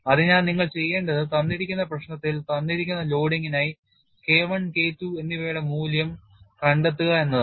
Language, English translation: Malayalam, So, what you will have to do is, in a given problem find out the value of K1 and K2 for the given loading